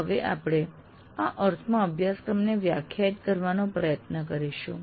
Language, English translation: Gujarati, So we will now try to define syllabus in this sense